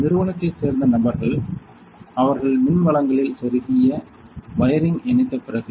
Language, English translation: Tamil, So, after that the people from the company they have connected the wiring they have plugged in the power supply